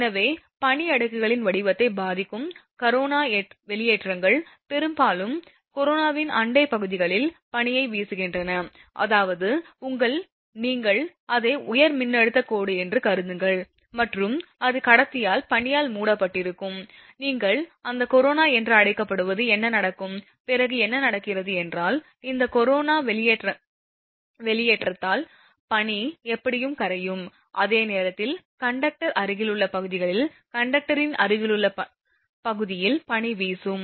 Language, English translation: Tamil, So, corona discharges themselves which affect the form of snow layers are often blow off the snow in the neighbouring regions of corona, that means, suppose your, what you call it is high voltage line and that is conductor is covered by snow and if your what you call that corona the happens, then what will happen that due to this corona discharge that snow will melt in anyway, at the same time on the conductor nearby areas, nearby region of the conductor that snow will be blown off